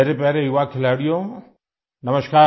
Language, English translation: Hindi, Namaskar my dear young players